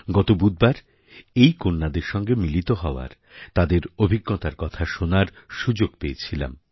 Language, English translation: Bengali, Last Wednesday, I got an opportunity to meet these daughters and listen to their experiences